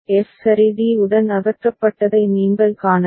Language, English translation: Tamil, You can see that f has been removed with d ok